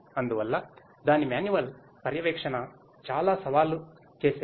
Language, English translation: Telugu, Hence, its manual monitoring is a pretty challenging task